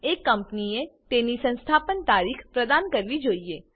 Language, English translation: Gujarati, A Company should provide its Date of Incorporation